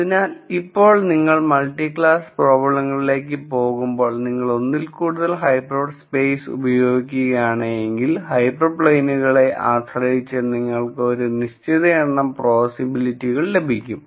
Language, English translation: Malayalam, So, now, you see that when we go to multi class problems if you were to use more than one hyper plane then depending on the hyper planes you get a certain number of possibilities